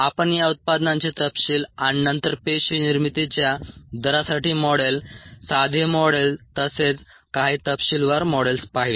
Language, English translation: Marathi, we looked at ah, the details of these products, and then the models for the rate of cell formation, simple models, as well as some ah detail models